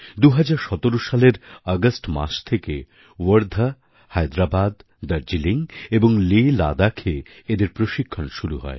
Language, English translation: Bengali, These Ashram School students began training in August, 2017, covering Wardha, Hyderabad, Darjeeling and LehLadakh